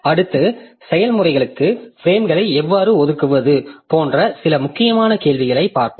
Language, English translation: Tamil, Next we'll be looking into some example some important question like how do we allocate frames to the processes